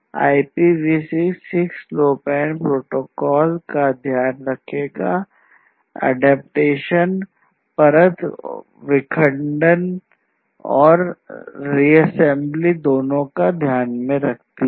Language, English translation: Hindi, So, this IPv6 will take care of not IPv6 the 6LoWPAN protocol, the adaptation layer will basically take care of both the fragmentation as well as the reassembly